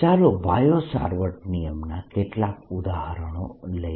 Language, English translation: Gujarati, let's take some examples of bio savart law